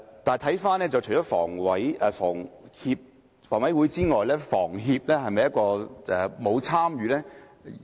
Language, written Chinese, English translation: Cantonese, 但是，除了房委會之外，香港房屋協會是否沒有參與呢？, But HA aside can I ask why the Hong Kong Housing Society HS is not taking any part?